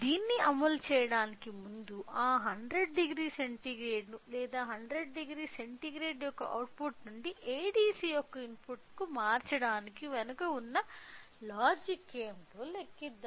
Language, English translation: Telugu, So, before implementing it let us calculate what is the logic behind in order to convert that 100 degree centigrade or the output from the 100 degree centigrade to the you know to the input of ADC